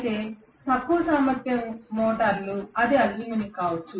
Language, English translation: Telugu, Whereas for low capacity motors it may be you know aluminum